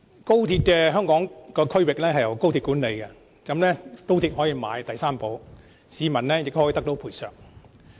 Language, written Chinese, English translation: Cantonese, 高鐵的香港區域由高鐵管理，高鐵可以購買第三者保險，市民也可得到賠償。, The section of Express Rail Link XRL operation within Hong Kongs territory will be managed by the MTR Corporation Limited who will procure third - party insurance under which the people will be protected